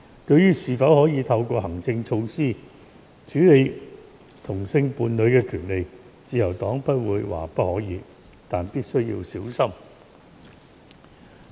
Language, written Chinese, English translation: Cantonese, 對於是否可以透過行政措施處理同性伴侶的權利，自由黨不會說不可以，但必須小心處理。, However as to whether we can deal with the rights of same - sex couples through administrative measures the Liberal Party will not say no but we should exercise caution